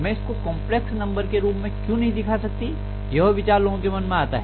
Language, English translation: Hindi, Why can’t I mention this in the form of complex numbers, that is the thought that came into people’s mind